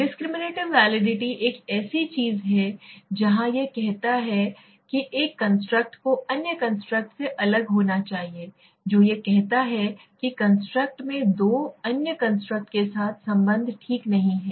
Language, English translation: Hindi, Discriminative validity is something where it says that one construct should be necessarily different from other construct, what it says establishing that the construct does not significantly co relates with two other constructs okay